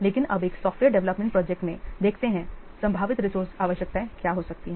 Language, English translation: Hindi, So basically in a software project development, the following are the resource requirements